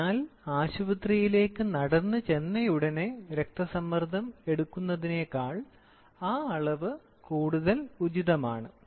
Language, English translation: Malayalam, So then, that measurement is more appropriate than just walking down to the hospital and taking the blood pressure